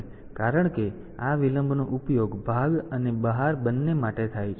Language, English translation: Gujarati, So, since this delay is used for both on part and off part